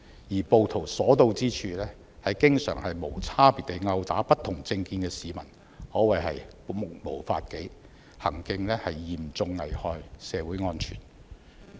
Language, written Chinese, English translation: Cantonese, 而暴徒所到之處，經常無差別地毆打不同政見的市民，可謂目無法紀，行徑嚴重影響社會安全。, Wherever the rioters go they would indiscriminately attack people who hold different political opinions . These rioters have disrespected the law and have seriously affected public safety with their actions